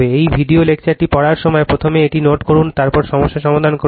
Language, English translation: Bengali, When you read this video lecture, first you note it down right, then you solve the problem